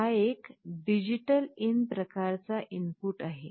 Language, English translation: Marathi, This is a DigitalIn type of input